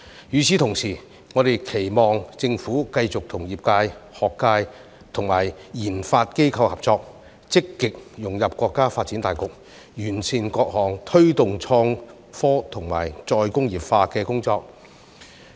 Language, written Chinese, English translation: Cantonese, 與此同時，我們亦期望政府繼續與業界、學界及研發機構合作，積極融入國家發展大局，完善各項推動創科及再工業化的工作。, Meanwhile we also hope that the Government would continue to work with the sector academia and RD institutions to proactively integrate Hong Kong into national development and step up the various efforts in promoting IT development and re - industrialization